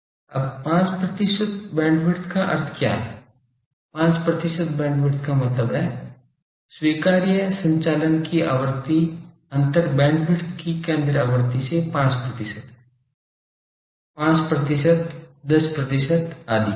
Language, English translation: Hindi, Now what is the meaning of 5 percent bandwidth, 5 percent bandwidth means frequency difference of acceptable operation is 5 percent from the centre frequency of the bandwidth; 5 percent 10 percent etc